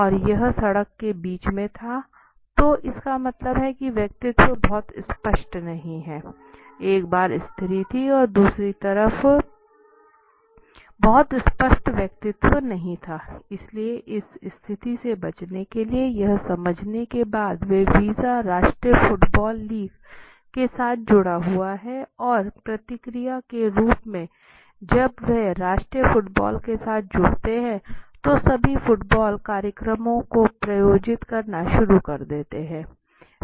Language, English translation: Hindi, And it was in the middle of the road so that means the personality was not very clear right so once I had feminine and the other side not a very clear personality so to do to avoid this situation after understanding that visa tied up with the national football league the national football league and as a response to that when they connected with the national football league they started funding they started sponsoring all the football events and all